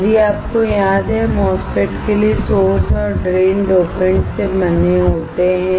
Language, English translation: Hindi, If you remember, the source and drain for the MOSFET are made of dopants